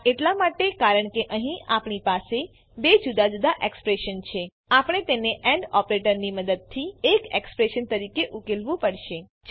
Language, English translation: Gujarati, This is because we have two different expressions here We have to evaluate them as one expression using AND operator